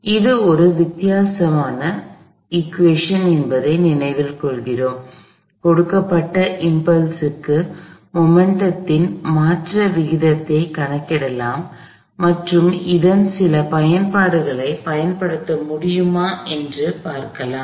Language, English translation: Tamil, So, we remember, this is a difference equation that tells me that for a given impulse the rate of change of momentum can be calculated and let see, if we can use some applications of this